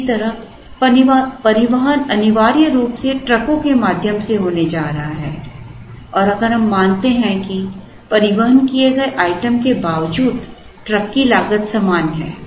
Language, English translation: Hindi, Similarly, the transportation is essentially going to be through trucks and if we assume that irrespective of the item that is transported, the truck cost is the same